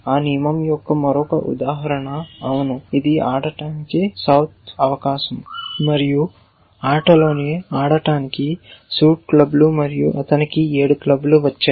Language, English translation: Telugu, Another instance of that rule will say yes it is south turns to play, suit in plays clubs and he has got a 7 of clubs